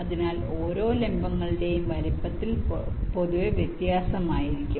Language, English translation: Malayalam, so the sizes of each of the vertices can be different in general